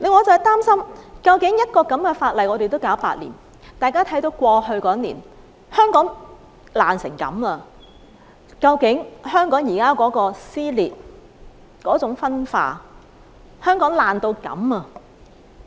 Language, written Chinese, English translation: Cantonese, 我擔心的是，這樣一項法例也要處理8年，大家看到過去一年，香港已經損毀到這種程度。, My concern is that it has taken as long as eight years to handle this piece of legislation . In the past year we saw Hong Kong fall into ruin